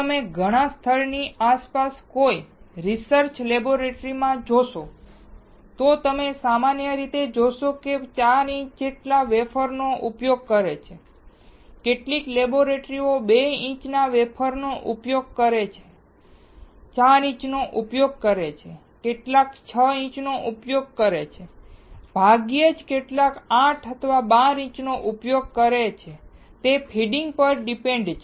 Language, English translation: Gujarati, So, if you see in a research laboratory around many places, you will see generally they use wafer which is 4 inches, some laboratories also use 2 inch wafer, 4 inches, some uses 6 inches, rarely some uses 8 or 12 inches depending on the funding